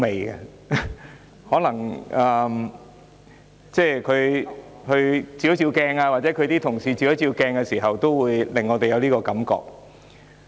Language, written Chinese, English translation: Cantonese, 也許梁議員和她的同事應照一照鏡子，便會有我們這種感覺。, Dr Priscilla LEUNG and her colleagues should perhaps look in the mirror and they will share our feeling